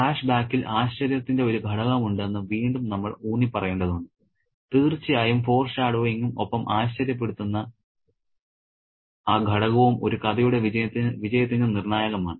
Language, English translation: Malayalam, So, again, we need to get this point reinforced that there is an element of surprise involved in flashback and foreshadowing and that element of surprise is crucial to the success of a story